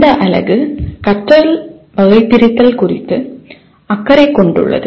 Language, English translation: Tamil, The unit is concerned with the Taxonomy of Learning